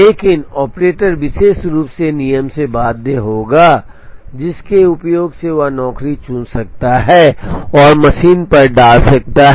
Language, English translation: Hindi, But, the operator will be very specifically bound by the rule using which he or she can pick a job and put it on the machine